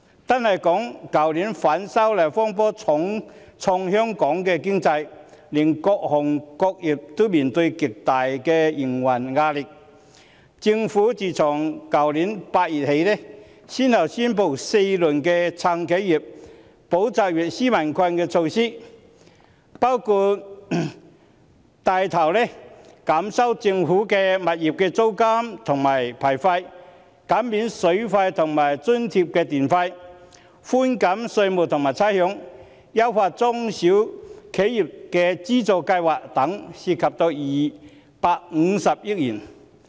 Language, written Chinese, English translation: Cantonese, 單說去年，反修例風波重創香港的經濟，各行各業均面對極大的營運壓力，政府自去年8月起，先後宣布4輪"撐企業、保就業、紓民困"的措施，包括帶頭減收政府物業的租金及牌費；減免水費及津貼電費；寬減稅務及差餉；優化中小企業的資助計劃等，涉款250億元。, Last year alone the disturbances arising from the opposition to the proposed legislative amendments severely damaged the Hong Kong economy with various sectors and industries faced with immense operational pressure . The Government has since August last year announced four rounds of measures to support enterprises safeguard jobs and relieve peoples burden including spearheading in reducing rents for government properties reduction in various licence fees water charge waiver electricity charge subsidy tax and rates concessions and enhancing funding schemes for small and medium enterprises all of which involved a total expenditure of some 25 billion